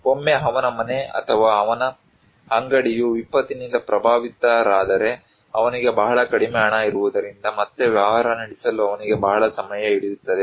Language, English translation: Kannada, Once his house or his shop is affected by disaster, it takes a long time for him to run the business again because he has very little money